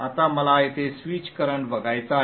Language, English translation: Marathi, Now I would like to see the switch current here